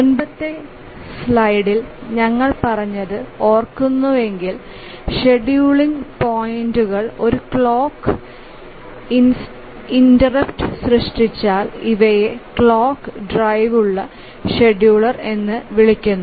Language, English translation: Malayalam, So, if you remember what we said in the earlier slide is that if the scheduling points are generated by a clock interrupt, these are called as clock driven scheduler